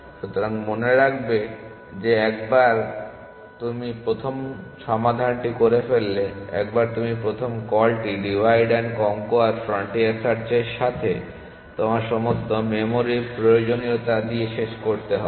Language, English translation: Bengali, So, remember that once you have solved the first once you made the first call to divide and conquer frontier search you finish with all your memory requirements